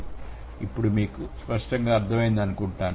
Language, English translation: Telugu, Is it clear to you now